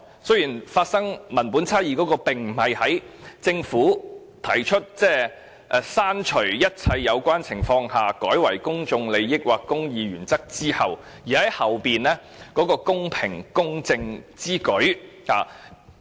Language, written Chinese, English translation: Cantonese, 雖然文本差異並非出現在政府建議刪除"一切有關情況下"而代以"公眾利益或公義原則之後"的修正案中，而在於後面的"公正公平之舉"。, The textual difference is found not in the Government CSA that proposes the replacement of all the relevant circumstances by the public interest or the interests of the administration of justice but in just and equitable to do so